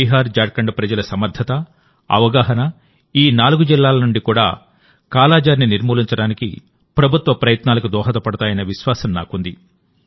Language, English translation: Telugu, I am sure, the strength and awareness of the people of BiharJharkhand will help the government's efforts to eliminate 'Kala Azar' from these four districts as well